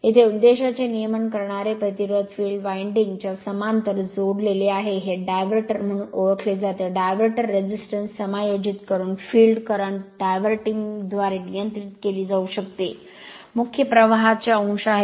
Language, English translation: Marathi, Here the regulating resistance for the purpose is connected in parallel with the field winding, this is known as diverter by adjusting the diverter resistance, the field current can be regulated by diverting, the desired fraction of the main currents